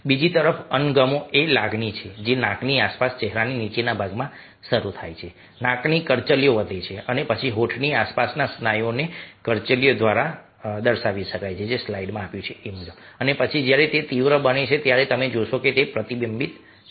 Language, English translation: Gujarati, disgust is a, on the other hand, and emotion which starts in the lower part of the face, ok, around the nose, is raising of, wrinkling of the nose and then wrinkling of the muscles around the lips and then, when its intensified, then you find that it gets reflected in the upper part, between the eyes, which are wrinkled